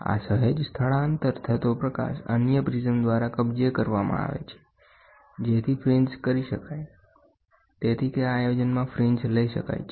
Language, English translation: Gujarati, This slight shifting light is captured by another prism so that the fringes can be done; so, that the fringes can be taken in this setup